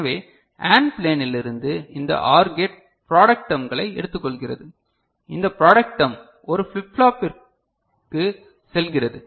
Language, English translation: Tamil, So, from the AND plane this OR gate is taking the product terms alright this product term is going to a flip flop right